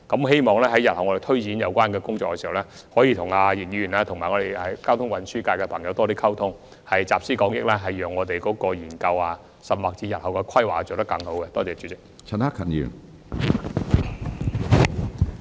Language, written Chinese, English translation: Cantonese, 希望日後在推展有關工作時，能與易議員和交通運輸界人士多作溝通，集思廣益，讓日後的研究或規劃做得更好。, I hope that in taking forward work in this respect in future more communication can be made with Mr YICK and members of the transport sector so that we may tap collective wisdom and carry out a better study or planning